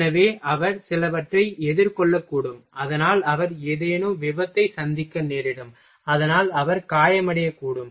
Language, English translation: Tamil, So, he may face some he may face some accident so, that he may get injured